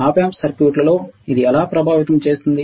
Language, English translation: Telugu, How this effect of the Op amp circuit